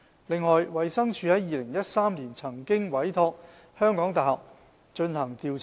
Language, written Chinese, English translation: Cantonese, 此外，衞生署曾在2013年委託香港大學進行調查。, Furthermore the Department of Health commissioned the University of Hong Kong for a study in 2013